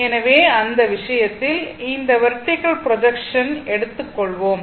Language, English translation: Tamil, So, in that case if you if you take suppose that vertical projection so, that is A B